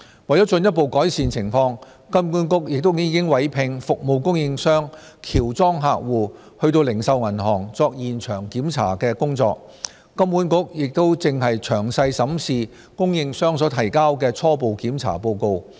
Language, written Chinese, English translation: Cantonese, 為進一步改善情況，金管局亦已委聘服務供應商喬裝客戶到零售銀行作現場檢查的工作，金管局現正詳細審視供應商所提交的初步檢查報告。, To further improve the situation HKMA has also engaged a service provider to conduct on - site inspections by mystery shoppers and it is carefully reviewing the preliminary inspection report submitted by the service provider